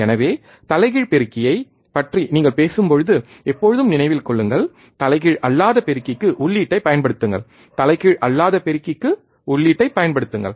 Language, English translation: Tamil, So, always remember when you talk about inverting amplifier, apply the input to inverting talk about the non inverting amplifier apply input to non inverting terminal